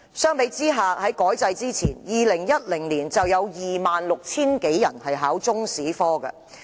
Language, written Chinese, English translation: Cantonese, 相比之下，在改制之前 ，2010 年有 26,000 多人報考中史科。, By comparison before the curriculum reform 26 000 - odd students applied to take the Chinese History examination in 2010